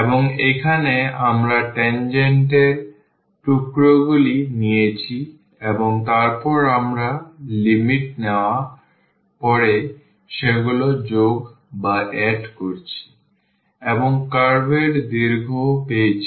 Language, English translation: Bengali, And, and here we have taken the pieces of the tangent and then we have added them after taking the limit we got the curve length